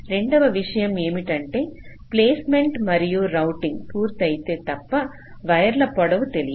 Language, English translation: Telugu, and the second point is that unless placement and outing are completed, we do not know the wire lengths